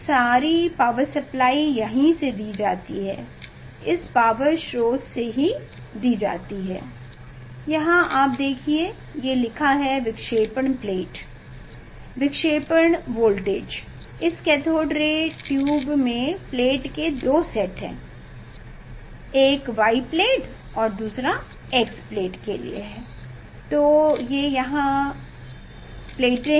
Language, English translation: Hindi, all power is given from here, all power is given from this source here is a written you see this deflection voltage; deflection voltage, means in this cathode ray tube there are two sets of plate, one is for Y plate and another for X plate, so there are plates here